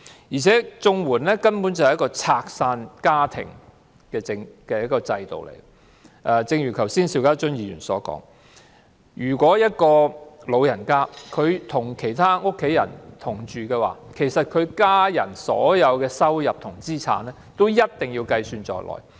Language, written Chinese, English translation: Cantonese, 而且，綜援根本是個拆散家庭的制度，正如邵家臻議員剛才所說，長者如果與家人同住，家人所有收入和資產一定要計算在內。, Moreover CSSA is essentially a system that breaks up families . As pointed out by Mr SHIU Ka - chun just now if elderly people live with their families all income and assets of their family members must be counted